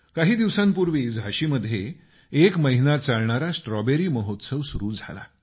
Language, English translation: Marathi, Recently, a month long 'Strawberry Festival' began in Jhansi